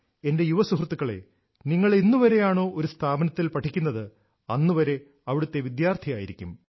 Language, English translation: Malayalam, My young friends, you are a student of an institution only till you study there, but you remain an alumni of that institution lifelong